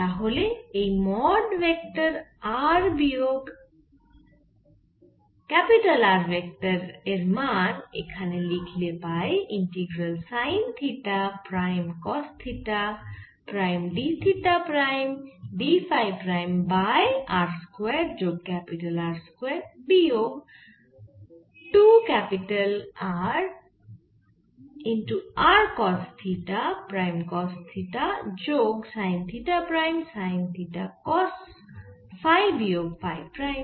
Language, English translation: Bengali, so if we write the value of mode r minus vector r, we can see the integral sin theta prime cos theta prime d theta prime d phi prime over r square plus capital r square minus two r capital r cos theta cos theta plus theta prime sin theta cos phi minus phi